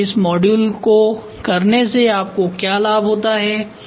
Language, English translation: Hindi, And then how do you benefit by doing this modularity